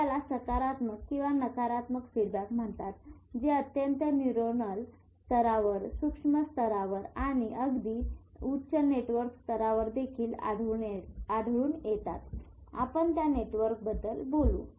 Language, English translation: Marathi, So these are called positive and negative feedbacks which occur at a very, very neuronal level, micro level and also at a very very high network level